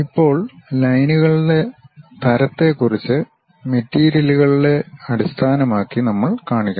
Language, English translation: Malayalam, Now, regarding the what type of lines we should really show, that based on the materials